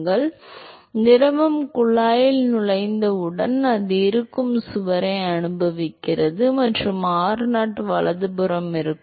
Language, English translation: Tamil, So, as soon as the fluid enters the tube it experiences the wall which is present and location r0 right